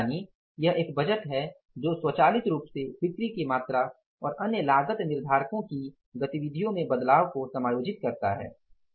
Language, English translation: Hindi, Means a budget that adjust for automatically that adjust for changes in the sales volume and the other cost driver activities